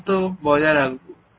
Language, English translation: Bengali, Keep a distance